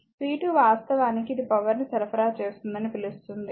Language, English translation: Telugu, So, p 2 actually this shows actually your what you call it is supplying power